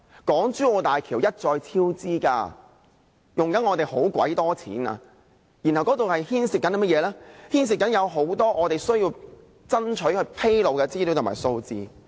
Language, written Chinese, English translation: Cantonese, 港珠澳大橋項目一再超支，正耗用政府龐大的公帑，當中牽涉很多我們爭取政府披露的資料和數字。, The HZMB project has repeatedly recorded cost overruns and is a drain on the public coffer . We have long strived for the Governments disclosure of the information and figures about HZMB